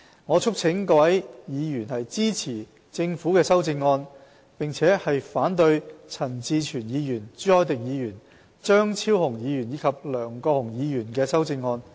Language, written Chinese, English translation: Cantonese, 我促請各位委員支持政府的修正案，並反對陳志全議員、朱凱廸議員、張超雄議員及梁國雄議員的修正案。, I urge Members to support the amendments proposed by the Government and oppose those proposed by Mr CHAN Chi - chuen Mr CHU Hoi - dick Dr Fernando CHEUNG and Mr LEUNG Kwok - hung